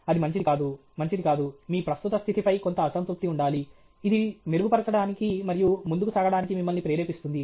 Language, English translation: Telugu, it is not good, it is not good okay; there should be some optimal unhappiness with your current state which will propel you to improve and move forward okay